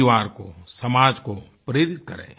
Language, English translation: Hindi, Inspire the society and your family to do so